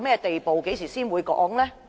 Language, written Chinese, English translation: Cantonese, 當局何時才會公布呢？, And when will the authorities announce these fares?